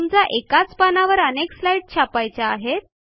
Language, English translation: Marathi, Lets say you want to have a number of slides in the same page of the printout